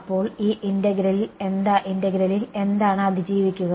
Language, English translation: Malayalam, So, what will survive in this integral